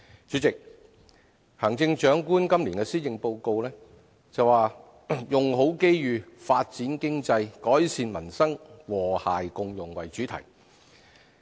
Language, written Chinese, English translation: Cantonese, 主席，行政長官今年的施政報告，以"用好機遇發展經濟改善民生和諧共融"為主題。, President the Chief Executives Policy Address this year is entitled Make Best Use of Opportunities Develop the Economy Improve Peoples Livelihood Build an Inclusive Society